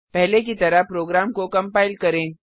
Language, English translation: Hindi, Compile the program as before